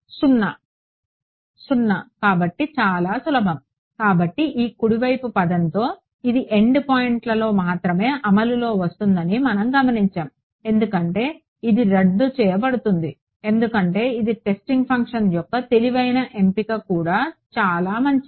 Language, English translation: Telugu, 0 so, very easy; so, we notice this with this right hand side term comes into play only at the end points because it gets cancelled like this is a clever choice of basis of testing function also right very good